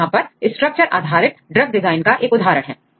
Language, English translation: Hindi, So, here is one example for the structure based drug design